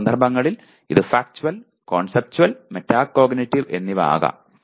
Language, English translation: Malayalam, Whereas it can be Factual, Conceptual, and Metacognitive in some cases